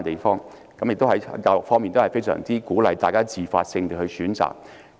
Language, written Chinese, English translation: Cantonese, 在教育方面，當地非常鼓勵學生自發性地選擇。, In terms of education students are highly encouraged to make choices on their own initiative in Australia